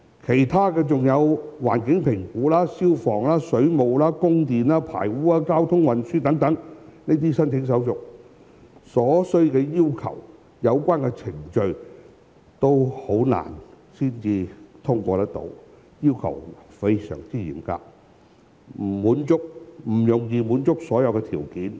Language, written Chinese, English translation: Cantonese, 此外，還要處理環境評估、消防、水務、供電、排污和交通運輸等申請手續，相關程序難以獲得通過，所需的要求非常嚴格，不容易滿足所有條件。, Moreover we had to deal with the application procedures in relation to environmental assessment fire safety water supply electricity supply sewage transportation etc . It was difficult to get through the relevant procedures as the requirements were very strict . It was not easy to satisfy all the conditions